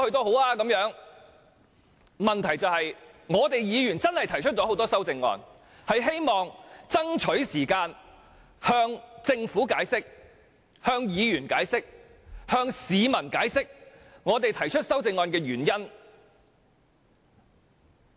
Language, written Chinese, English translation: Cantonese, 我們確是提出了多項修正案，期望能爭取時間向政府、議員及市民解釋我們提出各項修正案的原因。, We have indeed moved quite a number of amendments and we have to race against time to explain to the Government Members and the public why we have to do so